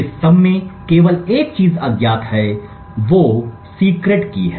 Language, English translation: Hindi, The only thing that is unknown in all of this is the secret key